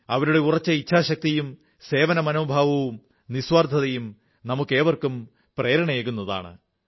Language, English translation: Malayalam, In fact, their strong resolve, spirit of selfless service, inspires us all